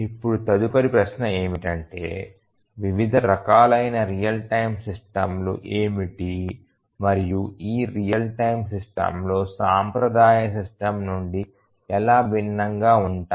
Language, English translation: Telugu, Now, let us try to answer basic questions basic question that what are the different types of real time systems and how are these real time systems different from traditional system